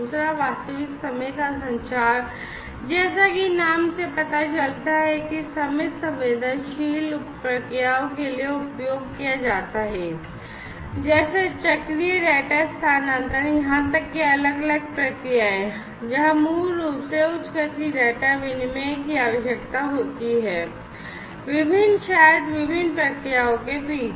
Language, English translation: Hindi, Second is real time communication as the name suggests used for time sensitive processes, such as cyclic data transfer even different procedures, where basically high speed data exchange is very much required, between different, maybe different processes, different machinery use high speed data exchange requirements are there in those machinery